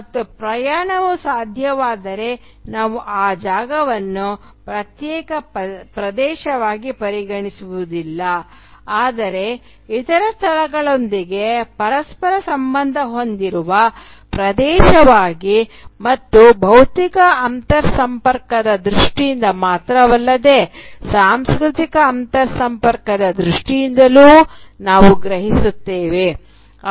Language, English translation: Kannada, And the moment travel is possible then we conceive that space not as an isolated area but as an area which is interconnected with other places and not only in terms of physical interconnectedness but also in terms of cultural interconnectedness